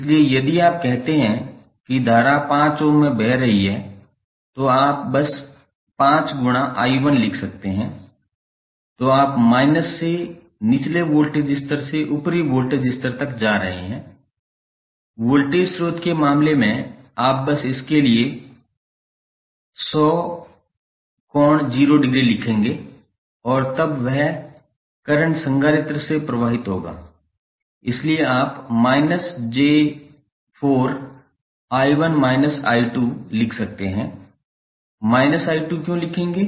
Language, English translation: Hindi, So, if you say current is flowing in 5 ohm so you can simply write 5 into I 1 then you are going from minus to lower voltage level to upper voltage level in the case of voltage source you will simply write 100 angle 0 degree for this and then this current will flow through capacitor so you will write minus j4 into I 1 minus I 2, why minus I 2